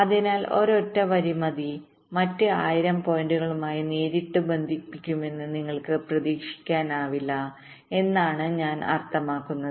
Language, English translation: Malayalam, so i mean you cannot expect a single line to be connected directly to thousand other points